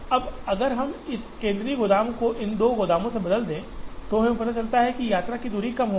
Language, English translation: Hindi, Now, if we replace this central warehouse with these two warehouses we realize that, the distance travelled will be less